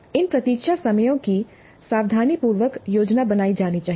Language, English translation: Hindi, So these wait times must be planned carefully